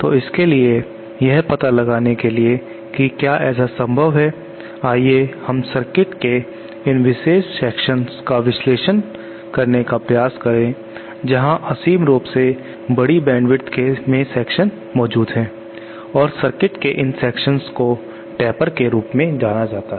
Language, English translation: Hindi, So for that to find out whether such thing is possible let us try to analyse these special classes of circuit where infinitely large number of sections are present and these classes of circuit are known as Tapers